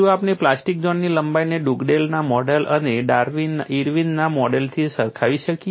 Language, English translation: Gujarati, Can we compare with the plastic zone length from Dugdale’s model and Irwin’s model